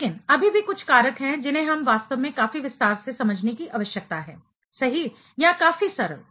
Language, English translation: Hindi, But, still there are few factors, we need to really understand quite detail right or quite simple